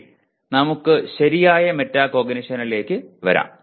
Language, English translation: Malayalam, Okay, let us come to proper metacognition